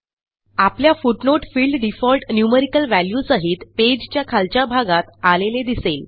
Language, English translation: Marathi, You see that a footnote field appears at the bottom of the page with default numerical value